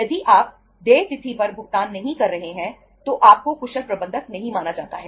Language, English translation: Hindi, If you are not making the payment on the due date you are not considered as the efficient manager